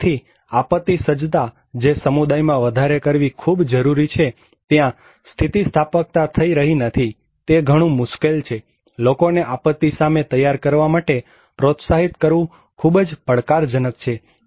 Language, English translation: Gujarati, So, disaster preparedness which is so necessary to increase communities, resiliency is not happening; it is so difficult, so challenging to encourage people to prepare against disaster